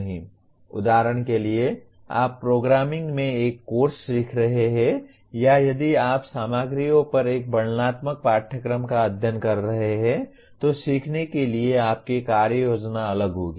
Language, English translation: Hindi, For example if you are learning a course in programming or if you are studying a descriptive course on materials your plan of action will be different for learning